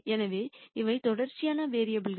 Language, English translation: Tamil, So, these are continuous variables